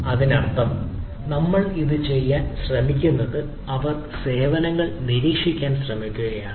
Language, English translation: Malayalam, so that means what we try to do, this they are, we are trying to monitor be service